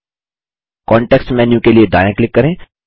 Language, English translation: Hindi, Right click for the context menu and click Group